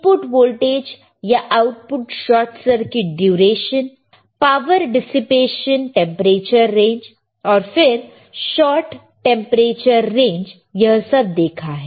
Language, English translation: Hindi, Input voltage or output short circuit duration, power dissipation, temperature range, and then short temperature range